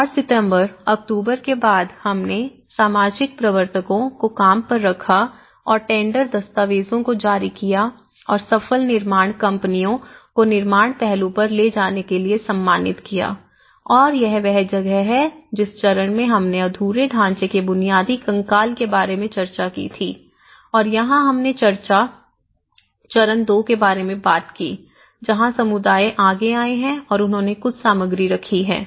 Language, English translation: Hindi, And since September, October we see the social promoters were hired and the tender documents were issued and awarded to successful construction companies to carry on with the construction aspect and this is where, the stage one which we discussed about the unfinished structure the basic skeleton of the house and here we talked about the stage two, where the communities have come forward and they put some materials